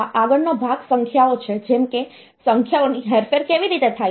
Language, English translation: Gujarati, Next part is the numbers like, how are the numbers manipulated